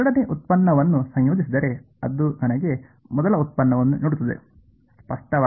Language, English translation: Kannada, Integrating second derivative will give me first derivative ; obviously